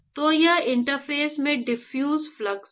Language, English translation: Hindi, So, this is diffusive flux at the interface